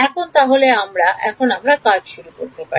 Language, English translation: Bengali, Now we can start now we can start working in it